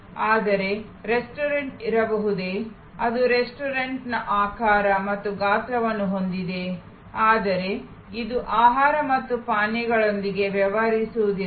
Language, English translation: Kannada, But, can there be a restaurant, which has the shape and size of a restaurant, but it does not deal with food and beverage